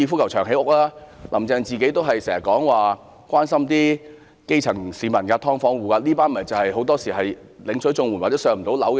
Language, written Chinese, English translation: Cantonese, "林鄭"常說關心基層市民、"劏房戶"，他們大多是領取綜援或無法"上樓"的人。, Carrie LAM often says that she cares about the grass roots and the tenants of subdivided units who are mainly CSSA recipients or people who cannot be allocated public housing